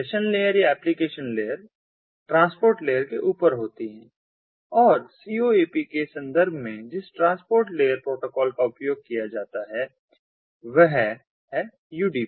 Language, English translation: Hindi, so session layer or application layer are on top of the transport layer and the transport layer protocol that is used in the context ah of ah